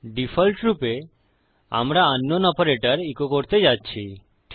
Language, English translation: Bengali, In the default were going to echo out unknown operator